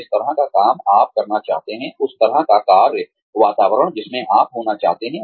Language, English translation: Hindi, The kind of work environment, that you would like to be in